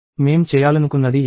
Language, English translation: Telugu, This is what we wanted to do